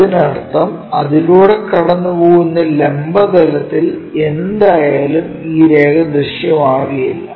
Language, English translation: Malayalam, That means, this line is not visible whatever the vertical line passing through that